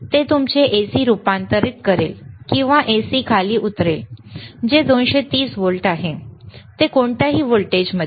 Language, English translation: Marathi, iIt will convert your AC orto step down then give the AC, which is lower 230 volts, to whatever voltage